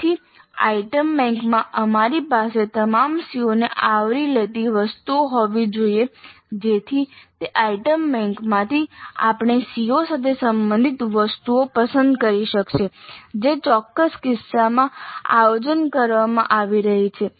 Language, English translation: Gujarati, So in the item bank we must have items covering all the COs so that from that item bank we can pick up the items related to the COs which are being planned in a specific instance